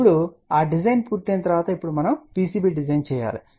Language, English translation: Telugu, Now, once that design is complete now we have to design a PCB